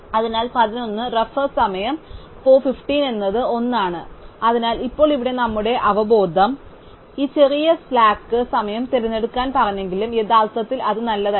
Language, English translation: Malayalam, So, 11 minus 10 is 1, so now here although our intuition told us to pick this smallest slack time actually that is not the good one